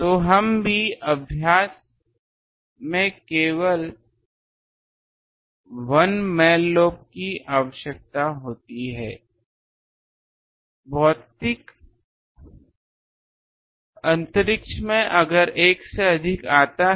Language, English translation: Hindi, So, also we can in practice we require only 1 main lobe to occur in physical space if more than 1 comes